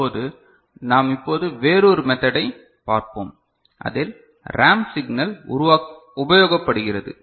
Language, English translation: Tamil, Now, we look at another method where we are using ramp signal ok